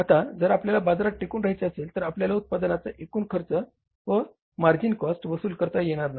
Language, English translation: Marathi, Now if you have to stay in the market and you are not able to recover the total cost of the production plus margin